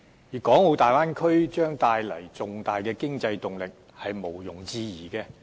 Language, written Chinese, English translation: Cantonese, 粵港澳大灣區將帶來重大的經濟動力是毋庸置疑的。, It is undoubtedly that the Guangdong - Hong Kong - Macao Bay Area will bring about great economic impetus